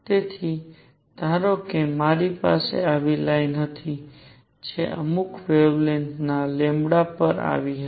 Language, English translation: Gujarati, So, suppose I had a line like this, which is coming at certain wavelength lambda